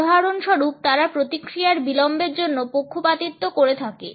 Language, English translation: Bengali, For example, they would be biased attributions for delay in responses